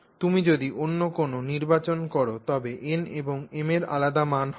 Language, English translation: Bengali, Any other selection that you make you will have a different value of n and different value of M